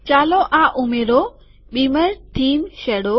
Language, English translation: Gujarati, Lets add this – beamer theme shadow